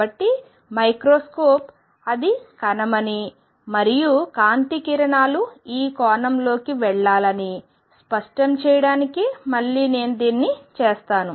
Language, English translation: Telugu, So, again let me make it to make it clear it is the microscope it is the particle and the light rays should go into this angle